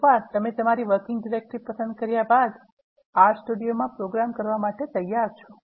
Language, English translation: Gujarati, Once you set the working directory, you are ready to program in R Studio